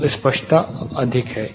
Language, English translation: Hindi, So, the clarity is higher